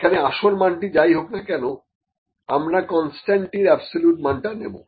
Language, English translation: Bengali, So, we will put absolute value of the constant here as well, irrespective of it is original value